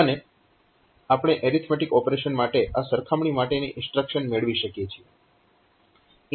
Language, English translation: Gujarati, And we can we can have this comparison instruction for the arithmetic operation